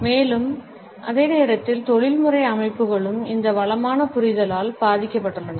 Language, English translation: Tamil, And, at the same time the professional settings were also influenced by this enriched understanding